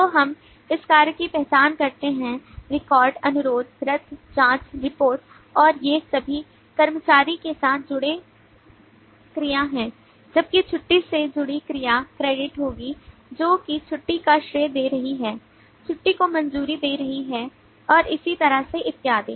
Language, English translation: Hindi, so we do this identification of work, record, request, cancel, check report and all these are the verbs associated with employee whereas the verb associated with leave will be credit, that is crediting leave, prorating leave getting a leave approved and so on and so forth